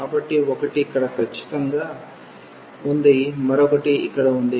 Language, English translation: Telugu, So, one is precisely this one, the other one at this point here